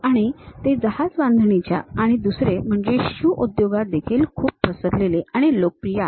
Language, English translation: Marathi, And, they are widespread in terms of shipbuilding and the other one is shoe industries also is quite popular